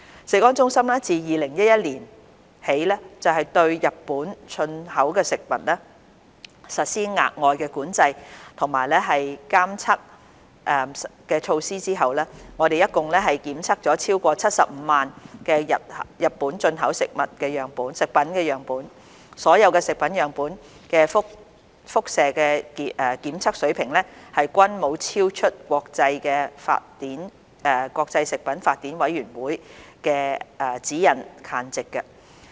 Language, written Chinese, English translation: Cantonese, 食安中心自2011年起對日本進口食品實施額外管制及監測措施後，共檢測了超過75萬個日本進口食品樣本，所有食物樣本的輻射檢測水平均沒有超出國際食品法典委員會的指引限值。, CFS implemented additional control and surveillance measures in 2011 for food products imported from Japan . Since then CFS had tested a total of more than 750 000 samples of such products and none of the samples were found to have radiation levels exceeding the guideline levels of the Codex Alimentarius Commission